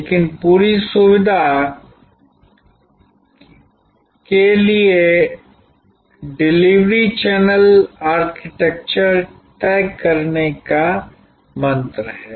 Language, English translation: Hindi, But, on the whole convenience, convenience, convenience remain the mantra for deciding the delivery channel architecture